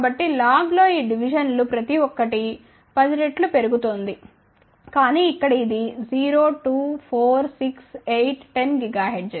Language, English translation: Telugu, So, n log each one of these divisions are increasing by 10 times ok, but here it is a 0, 2, 4, 6, 8, 10 gigahertz, ok